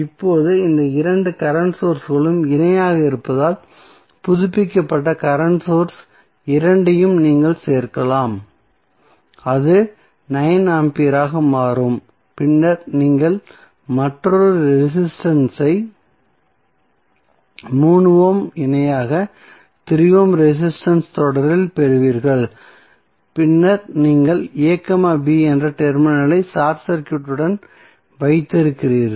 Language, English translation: Tamil, Now, if you see these two current sources are in parallel so updated current source you can add both of them and it will become 9 ampere then you will have another resistance 3 ohm in parallel 3 ohm resistance in series and then you have short circuited the terminal a, b